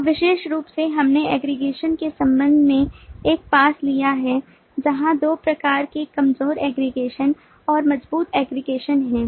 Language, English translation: Hindi, and specifically, we have taken a loop in to an aggregation kind of relationship where there are two kinds: the weak aggregation and the strong aggregation